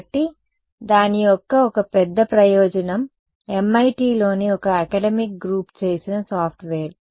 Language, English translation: Telugu, So, one big advantage of it is a software made by a academic group at MIT